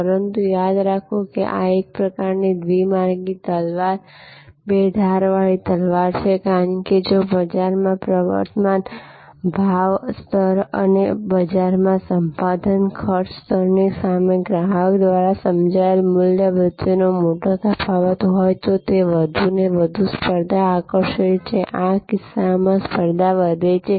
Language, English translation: Gujarati, But, remember that this is a kind of a two way sword or two edged sword, because if there is a big gap between the value perceived by the customer versus the prevailing price level in the market, the acquisition cost level in the market, it attracts more and more competition, the competition goes up in this case